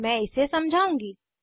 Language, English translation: Hindi, I will explain it